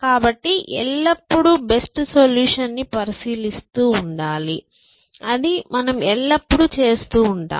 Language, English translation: Telugu, So, always keep track of the best solution, so that you can always do